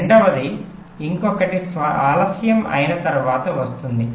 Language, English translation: Telugu, the second is coming after delay of something more